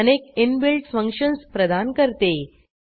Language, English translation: Marathi, Perl provides several inbuilt functions